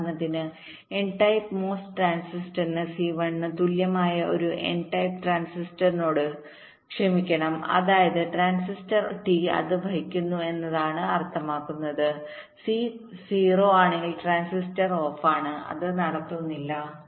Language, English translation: Malayalam, so ah, for n type mos transistor, for example sorry for a n type transistor if c equal to one, which means the transistor t is on, which means it conducts